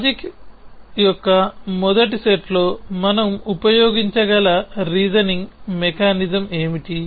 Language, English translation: Telugu, So, what is the reasoning mechanism that we can use in first set of logic